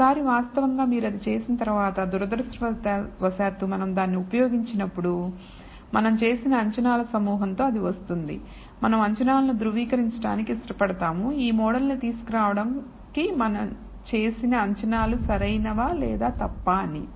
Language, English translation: Telugu, Once you have actually done that unfortunately when we use a method it comes with a bunch of assumptions associated you would like to validate or verify, whether the assumptions we have made, in deriving this model are correct or perhaps they are wrong